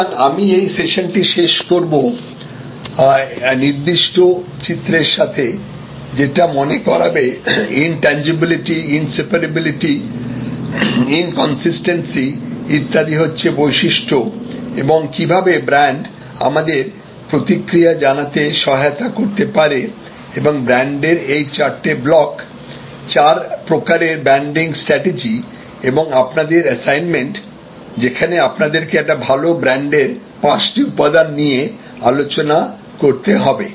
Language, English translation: Bengali, So, I end to the session with this particular diagram reminder about, what intangibility, inseparability, inconsistency, etc are the characteristics and how brand can help us to respond and these four blocks of brand categories branding strategies four types of branding strategies and your assignment, where you have to come up with five elements of a good brand